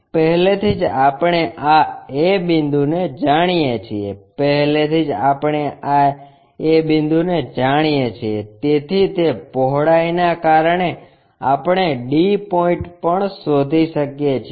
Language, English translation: Gujarati, Already we know this a point, already we know a point, so the on that locus because of this breadth we can locate d point also